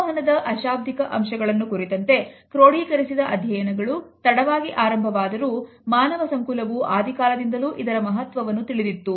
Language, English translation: Kannada, Even though the codified studies of nonverbal aspects of communication is started much later we find that mankind has always been aware of its significance